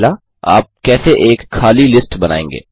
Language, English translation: Hindi, How do you create an empty list